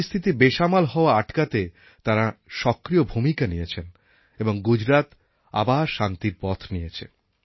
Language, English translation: Bengali, They played an important role in preventing the situation form worsening further and once again Gujarat started its peaceful march